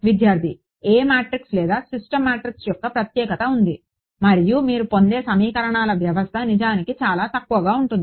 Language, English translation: Telugu, There is a speciality of the A matrix or the system matrix and that is the next point the system of equation that you get is actually sparse ok